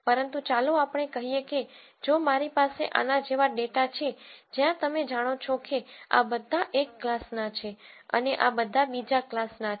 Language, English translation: Gujarati, But let us say if I have data like this where you know all of this belongs to one class and all of this belongs to another class